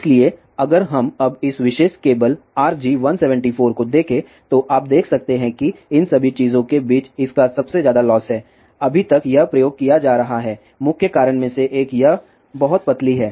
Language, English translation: Hindi, So, if we now look at this particular cable RG 174, you can see that this has highest losses among all of these thing at this is being used one of the main reason is this is very very thin